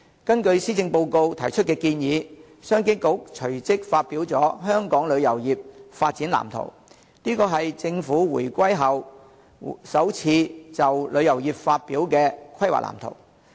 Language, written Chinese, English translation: Cantonese, 根據施政報告提出的建議，商務及經濟發展局隨即發表了"香港旅遊業發展藍圖"，這是政府回歸後首次就旅遊業發表的規劃藍圖。, Following the proposal of the Policy Address the Commerce and Economic Development Bureau released the Development Blueprint for Hong Kongs Tourism Industry the first planning blueprint for the tourism industry released by the Government since the reunification